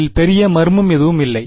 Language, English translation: Tamil, There is no great mystery to it